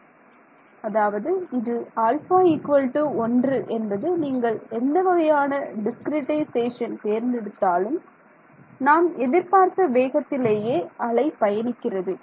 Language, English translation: Tamil, So, what is its saying therefore, alpha equal to 1 whatever discretization you choose my wave is travelling at the speed that I expect it to travel right